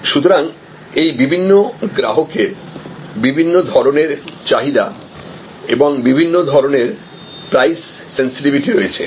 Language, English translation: Bengali, So, these different customers have different types of demands and different types of price sensitivity